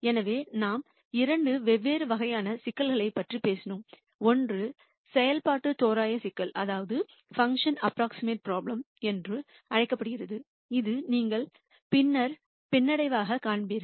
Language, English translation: Tamil, So, we talked about two different types of problems, one is what is called a function approximation problem which is what you will see as regression later